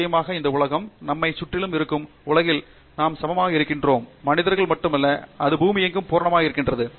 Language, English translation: Tamil, Of course, these days with the world around us also we are equally, not just humans that we are concerned about it is the earth as a whole